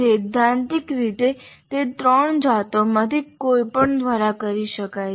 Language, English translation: Gujarati, In principle, it can be done by any of the three varieties